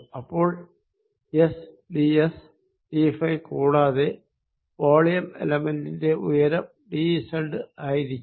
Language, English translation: Malayalam, so s d s d phi and height for this volume element is going to be d z